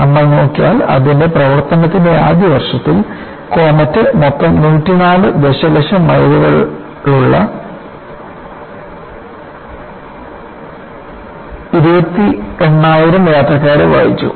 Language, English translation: Malayalam, And if you look at, in the first year of its operation, comet carried 28000 passengers with a total of 104 million miles